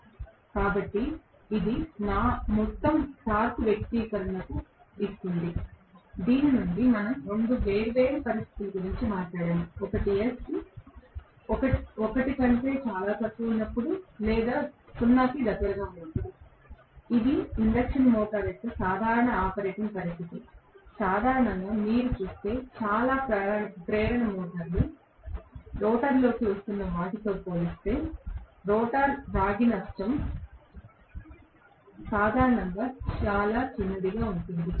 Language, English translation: Telugu, So, this gives me the overall torque expression, from which we talked about 2 different situations one was when S is very much less than 1 or closed to 0 right, which is the normal operating situation of an induction motor, normally, if you look at most of the induction motors, we are going to have the rotor copper loss to be generally very very small as compare to what is coming into the rotor